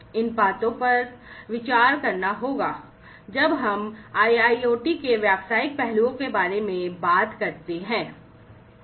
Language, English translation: Hindi, So, together these things will have to be considered, when we talk about the business aspects of IIoT